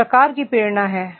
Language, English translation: Hindi, What type of motivation is there